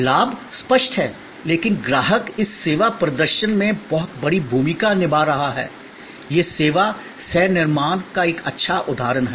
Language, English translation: Hindi, Advantages are obvious, but the customer is playing the much bigger role in this service performance; this is a good example of service co creation